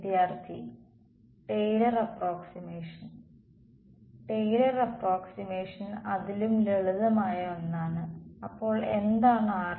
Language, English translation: Malayalam, Taylor approximation Taylor approximation something even simpler than that; so, what is r prime